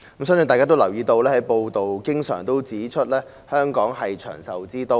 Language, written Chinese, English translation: Cantonese, 相信大家都留意到，不時有報道指香港是長壽之都。, I believe Members must have noticed that from time to time there would be reports saying that Hong Kong is a city of long life expectancy